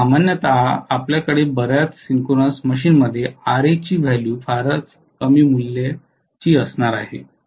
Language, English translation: Marathi, So normally we are going to have very low values of Ra in most of the synchronous machine